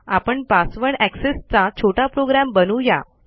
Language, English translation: Marathi, Ill create a little program for a password access